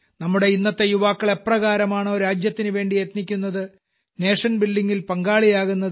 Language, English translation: Malayalam, The way our youth of today are working for the country, and have joined nation building, makes me filled with confidence